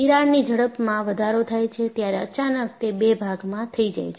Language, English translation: Gujarati, The crack speed increases, suddenly it becomes two